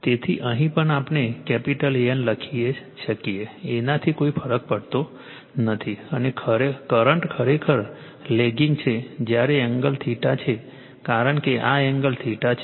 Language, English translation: Gujarati, So, here also we can write capital A N does not matter , and the current I actually is lagging while angle theta because these angle is theta right